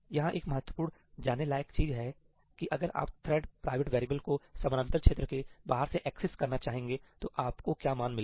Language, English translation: Hindi, There is one important thing to point out that is that if you access a thread private variable from outside the parallel region, what is the value you are going to get